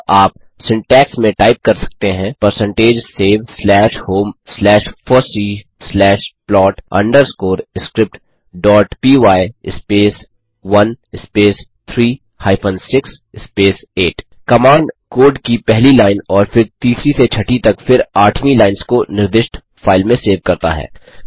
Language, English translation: Hindi, Hence you can type in the syntax of percentage save slash home slash fossee slash plot underscore script dot py space 1 space 3 hyphen 6 space 8 This command saves the first line of code and then third to sixth followed by the eighth lines of code into the specified file